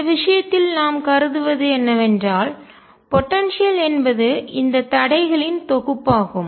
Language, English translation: Tamil, What we consider in this case is that the potential is a collection of these barriers